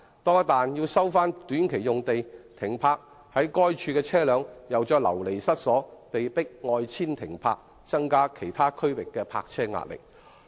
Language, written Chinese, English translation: Cantonese, 一旦短期用地被收回，在該處停泊的車輛便會再度流離失所，被迫外遷停泊，令其他地區的泊車位壓力有所增加。, Once sites under short - term tenancies are resumed vehicles that used to park there will be displaced and have to park elsewhere which in turn enhance the burden on the availability of parking spaces in other areas